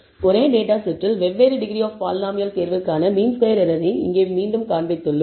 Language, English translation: Tamil, Here again we have shown the mean squared error for different choice of the degree of the polynomial for the same data set